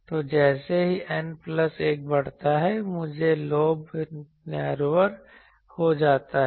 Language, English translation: Hindi, So, as N plus 1 increases, the main lobe gets narrower